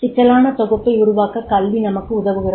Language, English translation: Tamil, Education also help us to develop the complex synthesis